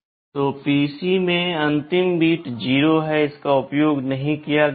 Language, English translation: Hindi, So, in the PC, the last bit is 0 which is not used